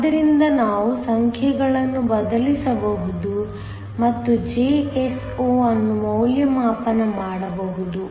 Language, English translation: Kannada, So, we can substitute the numbers and evaluate Jso